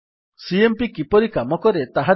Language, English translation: Odia, Let us see how cmp works